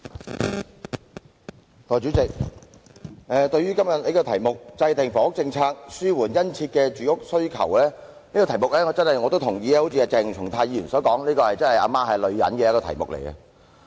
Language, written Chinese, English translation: Cantonese, 代理主席，對於今天這項"制訂房屋政策紓緩殷切住屋需求"的議案，我同意鄭松泰議員所說，這是一項"阿媽是女人"的議題。, Deputy President as regards the motion today on Formulating a housing policy to alleviate the keen housing demand I agree to what Dr CHENG Chung - tai has said that is the subject itself is a truism as in saying that My mother is a woman